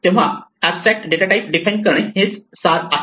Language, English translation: Marathi, So, this is the essence of defining an Abstract datatype